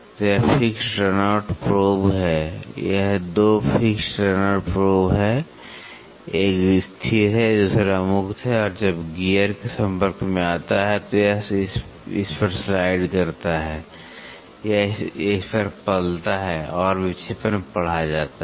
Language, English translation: Hindi, So, this is the fixed run out probe, this 2 are fixed run out probe one is fixed, the other one is free and when the gear comes in contact it slides over this or cribs over this and the deflections are read